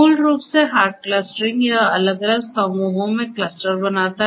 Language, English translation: Hindi, Hard clustering basically what it does is it clusters into different distinct groups